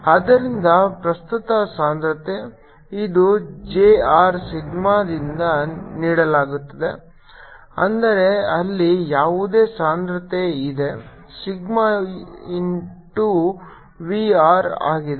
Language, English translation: Kannada, so current density, which is j r, is given by sigma, means whatever density is there, sigma into v r